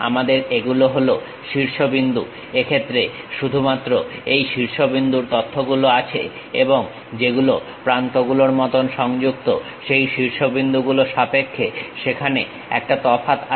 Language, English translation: Bengali, We have these are the vertices, in case only these data points vertices are available and there is a mismatch in terms of vertices which are connected with each other like edges